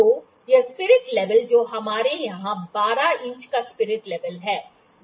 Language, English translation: Hindi, So, this spirit level that we have here is a 12 inch spirit level